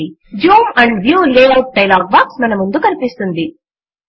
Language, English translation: Telugu, You see that a Zoom and View Layout dialog box appears in front of us